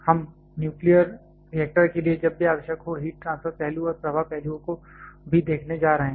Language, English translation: Hindi, We are going to look at the heat transfer aspect and also the flow aspects whenever necessary of a nuclear reactor